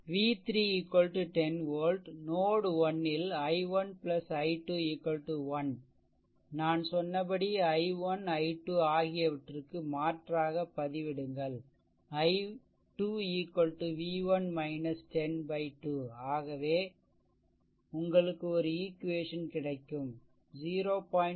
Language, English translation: Tamil, Now, v 3 is equal to 10 volt at node 1; i 1 plus i 2 is equal to 1, I told you substitute i 1, i 2; this i 2 also v 1 minus 10 by 2 I told you